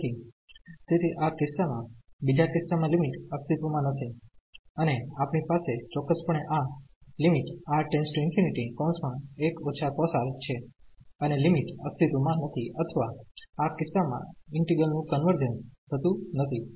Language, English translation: Gujarati, So, therefore, in this case the second case the limit does not exist and we have precisely this limit 1 minus cos R and the limit does not exist or the integral does not converge in this case